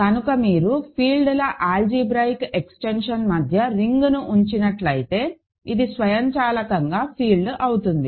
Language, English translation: Telugu, So, if you have a ring squeezed in between an algebraic extension of fields, this is automatically a field